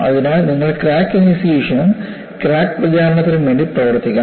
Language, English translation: Malayalam, So, you have to work upon crack initiation as well as crack propagation